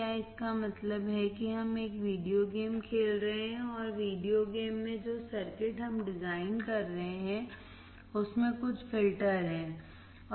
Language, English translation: Hindi, Is it means that we are playing a videogame and in the videogame the circuit that we are designing has some filters in it